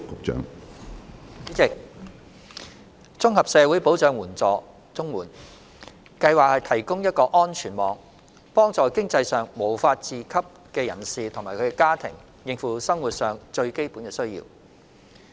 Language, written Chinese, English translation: Cantonese, 主席，綜合社會保障援助計劃提供一個安全網，幫助經濟上無法自給的人士及家庭應付生活上最基本的需要。, President the Comprehensive Social Security Assistance CSSA Scheme provides a safety net to help persons and families who cannot support themselves financially to meet their basic needs